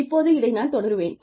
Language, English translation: Tamil, Now, I will continue with this